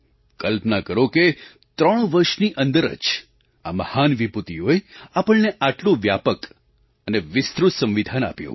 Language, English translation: Gujarati, Just imagine, these luminaries gave us such a comprehensive and detailed Constitution within a period of just less than 3 years